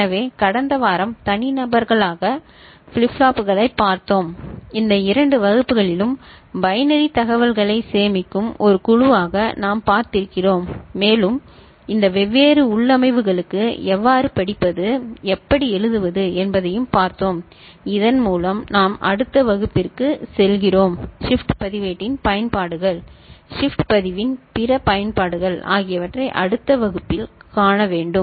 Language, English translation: Tamil, So, last week, we saw flip flops as individuals and in these two classes we have seen them as a group storing binary information and we have seen how to read and how to write for these different configurations and with this we move to next class we shall see the applications of shift register, other applications of shift register